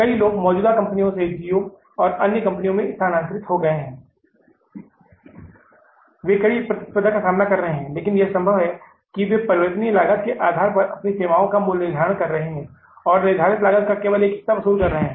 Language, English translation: Hindi, Many people have shifted from the existing companies to geo and other companies, though they are striving but facing steep competition, but it may be possible that they are again now pricing their services based upon the variable cost and recovering only the part of the fixed cost